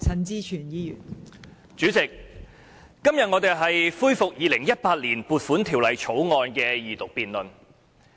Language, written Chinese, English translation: Cantonese, 代理主席，今天我們是恢復《2018年撥款條例草案》的二讀辯論。, Deputy President today we resume the debate on the Second Reading of the Appropriation Bill 2018 the Bill